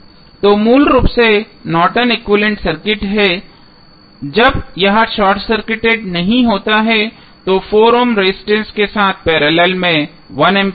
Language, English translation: Hindi, So, basically the Norton's equivalent of this circuit when it is not short circuited would be 1 ampere in parallel with 4 ohm resistance